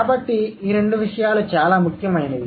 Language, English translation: Telugu, So these two things are very important